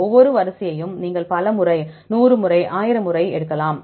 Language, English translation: Tamil, Each sequence you can sample many times, 100 times, 1,000 times you can take